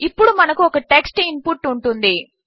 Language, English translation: Telugu, Now we will have a text input